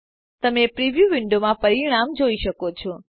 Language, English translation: Gujarati, You can see the result in the preview window